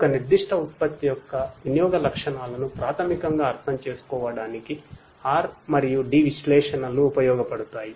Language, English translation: Telugu, For R and D analytics is useful to basically understand the usage characteristics of a particular product